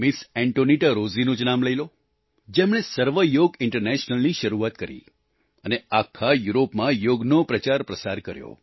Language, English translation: Gujarati, AntoniettaRozzi, has started "Sarv Yoga International," and popularized Yoga throughout Europe